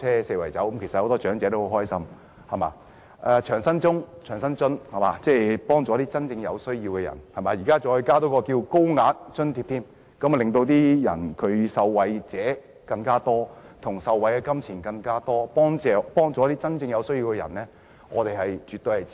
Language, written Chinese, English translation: Cantonese, 此外，長者生活津貼能幫助真正有需要的人，現在再多加一項高額援助，令受惠者人數更多，他們受惠的金錢更多，能幫助一些真正有需要的人，我們絕對支持。, Besides the Old Age Living Allowance can help the elderly in real need and a higher tier of assistance is now being added so that more people can be benefited . The higher amount of assistance can help those people in real need and we are absolutely in support of this initiative